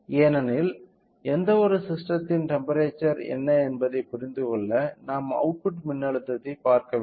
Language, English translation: Tamil, Since, in order to understand what is the temperature of any system, so, we should by looking into the output voltage we can easily do that